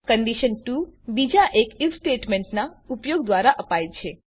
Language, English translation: Gujarati, Condition 2 is given using another If statement